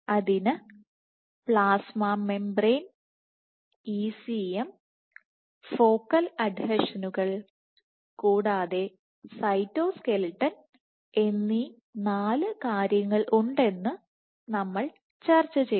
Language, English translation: Malayalam, So, there are these four things, so plasma membrane, ECM, focal adhesions, and cytoskeleton